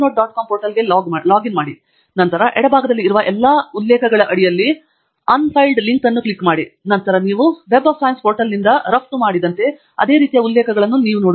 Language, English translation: Kannada, com portal in a separate tab, and then click on the link unfiled, under all my references in the left hand side bar, and then you should you seeing the same set of references here as you have exported from the Web of Science portal